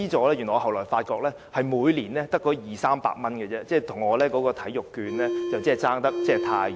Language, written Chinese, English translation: Cantonese, 但是，我後來發現這些資助只是每年二三百元，與我提出的體育券相差甚遠。, However I have found out that these subsidies are only HK200 to HK300 per year which is way below the sports vouchers I proposed